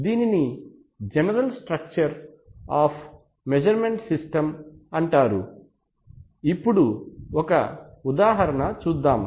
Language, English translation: Telugu, So this is the general structure of a measurement system, for example if you take an example